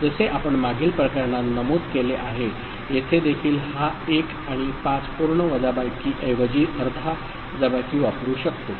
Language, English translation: Marathi, And as we had mentioned in the previous case, here also this 1 and 5 could use half subtractor instead of full subtractor